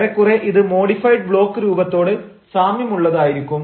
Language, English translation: Malayalam, that is why we call it a modified block format